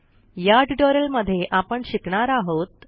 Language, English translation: Marathi, In this tutorial we will learn the followings